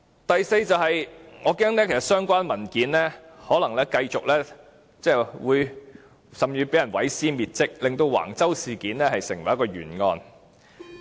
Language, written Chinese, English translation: Cantonese, 第四，我恐怕相關文件可能會被人毀屍滅跡，令橫洲事件成為一宗懸案。, Fourth I am afraid that the relevant documents may be destroyed and then the Wang Chau incident will become a cold case